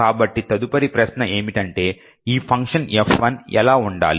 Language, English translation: Telugu, So, the next question is what should be this function F1